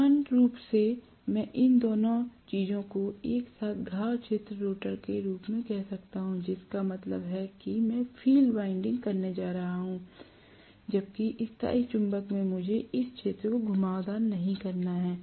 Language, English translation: Hindi, In general, I can call both these things together as wound field rotor, which means I am going to have field winding whereas in permanent magnet I do not have to have this field winding